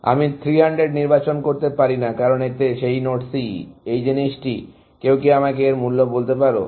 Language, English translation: Bengali, I cannot choose 300, because in this, that node C, this thing; can somebody tell me the value for this